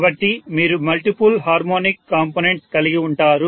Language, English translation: Telugu, So you will have multiple harmonic components